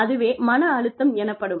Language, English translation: Tamil, We all know, what stress is